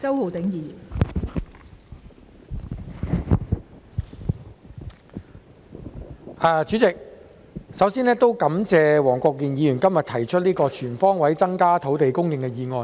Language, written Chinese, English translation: Cantonese, 代理主席，首先感謝黃國健議員今天提出這項"全方位增加土地供應"的議案。, Deputy President first of all I would like to thank Mr WONG Kwok - kin for moving the motion on Increasing land supply on all fronts today